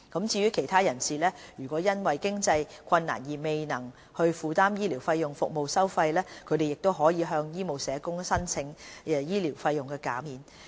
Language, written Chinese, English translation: Cantonese, 至於其他人士，如果因經濟困難而未能負擔醫療服務費用，亦可向醫務社工申請醫療費用減免。, Other persons who cannot afford medical fees because of financial difficulties can make a fee waiver application to medical social workers